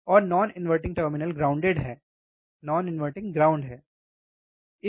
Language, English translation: Hindi, And non inverting terminal is grounded, non inverting is grounded right